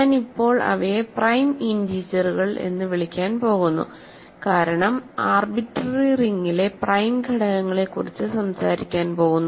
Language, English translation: Malayalam, So, I am going to call them prime integers now, because in an arbitrary ring also we are going to talk about prime elements